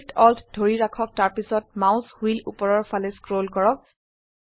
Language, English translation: Assamese, Hold Shift, Alt and scroll the mouse wheel downwards